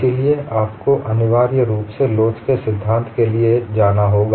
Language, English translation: Hindi, Let us now look at review of theory of elasticity